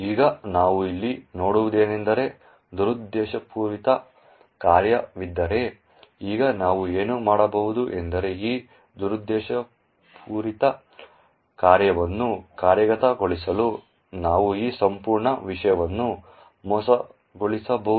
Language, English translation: Kannada, Now what we see here is that there is a malicious function, now what we can do is we can actually trick this entire thing into executing this malicious function